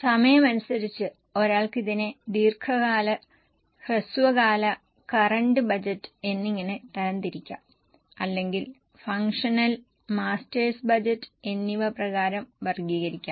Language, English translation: Malayalam, So, time wise, one may categorize it as a long term, short term and current budget, or one can also categorize it as for the functional versus master's budget